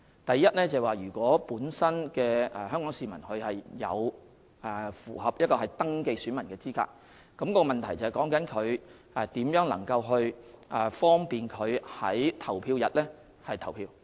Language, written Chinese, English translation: Cantonese, 第一，如果有關的香港市民符合登記選民的資格，問題是如何能夠方便他們在投票日投票。, First if the Hong Kong people concerned are eligible to be registered as electors the issue is how we can facilitate their voting on the polling day